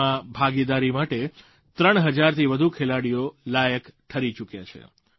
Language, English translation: Gujarati, And more than 3000 players have qualified for participating in these games